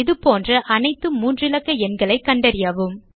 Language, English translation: Tamil, Find all such 3 digit numbers